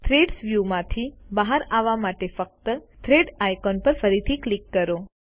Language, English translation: Gujarati, To come out of the Thread view, simply click on the Thread icon again